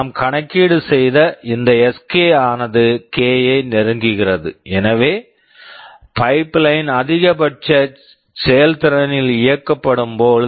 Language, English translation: Tamil, Well, this Sk we just calculated will tend to k, so that is when the pipeline is operated at maximum efficiency